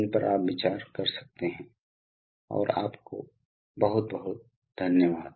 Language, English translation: Hindi, So, that is all for today thank you very much